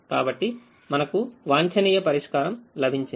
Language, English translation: Telugu, we would have got the optimum solution